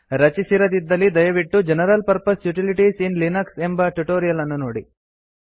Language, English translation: Kannada, If not please refer to the tutorial on General Purpose Utilities in Linux